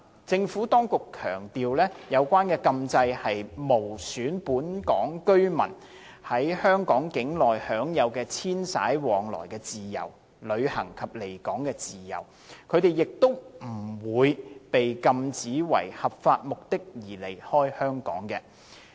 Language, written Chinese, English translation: Cantonese, 政府當局強調，有關禁制無損本港居民在香港境內享有遷徙往來的自由、旅行及離港自由，他們亦不會被禁止為合法目的而離開香港。, The Administration has stressed that the proposed prohibition will not affect Hong Kong residents freedom of movement within Hong Kong; it will not impair their freedom to travel and to leave Hong Kong; and they will not be prohibited from leaving Hong Kong for lawful purposes